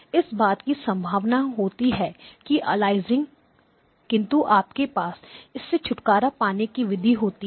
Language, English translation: Hindi, But this is a possibility that aliasing will happen and you have to get rid of the aliasing